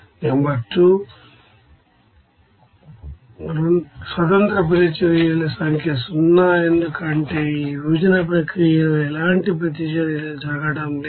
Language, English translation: Telugu, Number 2, number of independent reactions that is 0, because there is no reactions taking place in this separation process